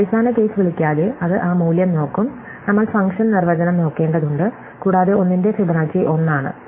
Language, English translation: Malayalam, So, it will look up that value without calling the base case, without looking at the function definition and just return Fibonacci of 1 is 1